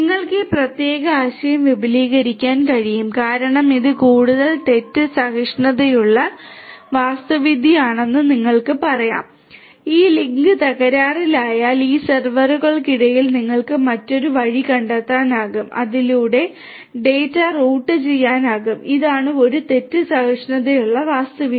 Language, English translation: Malayalam, You can extend this particular concept is as you can see over here that this is more fault tolerant architecture let us say that if this link breaks and so, you will find another path between these servers through which the data can be routed so, this is a fault tolerant architecture